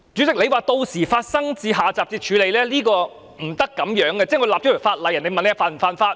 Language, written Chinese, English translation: Cantonese, 主席說屆時發生到下集才處理，是不能這樣的，就像訂立法例，人們問這是否犯法？, President said that the matter would be dealt with by the time of the sequel . It will not work this way . An analogy can be drawn to legislation